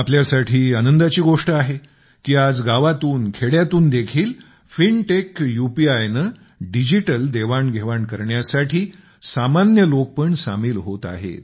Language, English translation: Marathi, It is matter of delight for us that even in villages, the common person is getting connected in the direction of digital transactions through fintech UPI… its prevalence has begun increasing